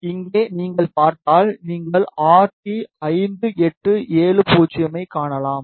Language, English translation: Tamil, If you see here, you can see RT5870